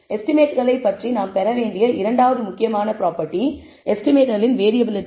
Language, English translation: Tamil, The second important property that we need to derive about the estimates is the variability of estimates